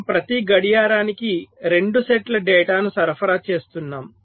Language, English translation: Telugu, so we are supplying two sets of data every clock